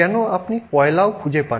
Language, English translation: Bengali, We may be using coal